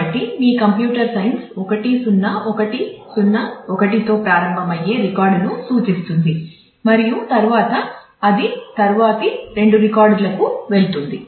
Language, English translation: Telugu, So, you can see that your computer science points to the record starting with 1 0 1 0 1 and then the; it goes on to the next two records